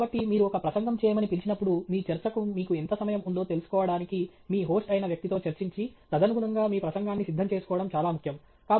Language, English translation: Telugu, So, it’s very important that you, when you are called to give a talk, to discuss with the person who is your host to figure out how much time you have for your talk, and prepare your talk accordingly